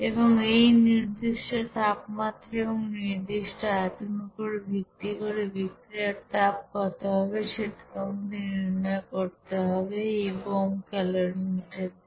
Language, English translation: Bengali, And based on that at constant temperature and constant volume what should be the heat of you know reaction that you have to find out by this bomb calorimeter